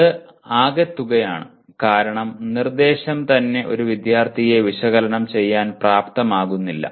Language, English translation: Malayalam, And this is total because instruction itself is not doing anything to make a student analyze